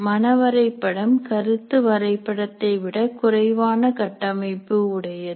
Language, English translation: Tamil, What happens here is the mind map is a very less structured than concept map